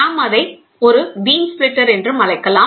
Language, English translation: Tamil, So, or we can call it as a beam splitter